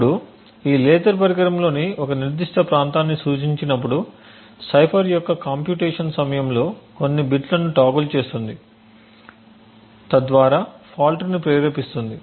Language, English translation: Telugu, Now this laser when it is pointed to a specific to the device would toggle some bits during the computation of the cipher and thus induce the fault